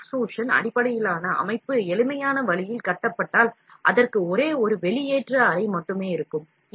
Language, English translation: Tamil, If an extrusion based system is built in the simplest possible way, then it will have only one extrusion chamber